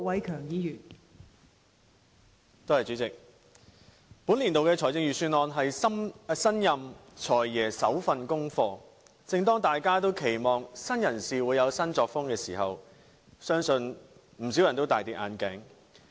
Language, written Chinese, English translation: Cantonese, 代理主席，本年度的財政預算案是新任"財爺"的首份功課，正當大家期望新人事會有新作風的時候，相信不少人也大失所望。, Deputy President the Budget this year is the first piece of homework done by the new Financial Secretary . When everyone is expecting new initiatives from the new incumbent I believe many are disappointed by what he has delivered